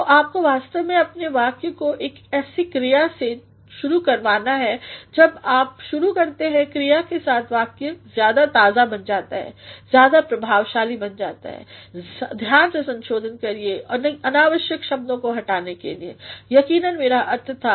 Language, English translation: Hindi, So, you have actually to make your sentence start with a verb when you start with a verb sentence becomes more fresh sentence becomes more effective revise carefully to delete the use of unnecessary words, that is what I exactly meant